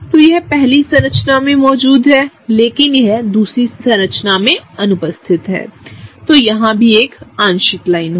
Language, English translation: Hindi, So, it is present in this first structure, but it is absent in the second structure, so that gets a partial line